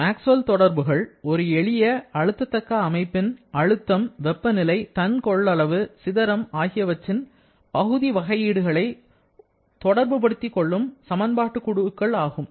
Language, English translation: Tamil, Maxwell’s relations are a group of equations to relate the partial derivatives of pressure, temperature, specific volume and entropy to each other for a simple compressible system